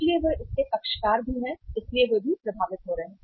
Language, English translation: Hindi, So they are also the party to it so they are also getting affected